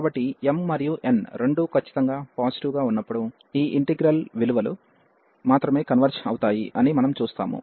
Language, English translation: Telugu, So, we will see that this integral converges only for these values when m and n both are strictly positive